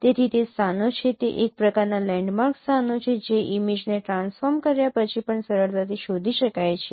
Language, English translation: Gujarati, So, they are the locations, they are kind of landmark locations which are easily detectable even after the image is transformed